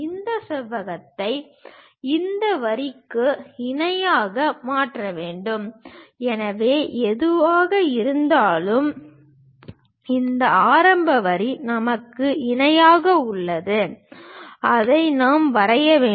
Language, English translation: Tamil, We have to turn this rectangle parallel to these lines so whatever, this initial line we have parallel to that we have to draw it